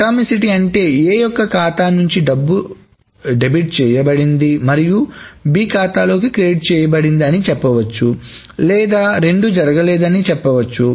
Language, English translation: Telugu, So, Atomicity as has been saying that either A's account is debited and B's account is credited or none of them has happened